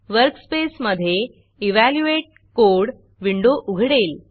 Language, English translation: Marathi, The Evaluate Code window appears in the workspace